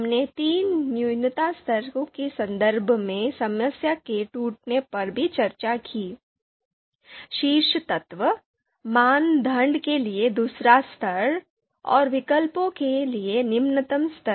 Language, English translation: Hindi, Breakdown of the problem that we have discussed in terms of three minimum levels, top element, second level for criteria and the lowest level for alternatives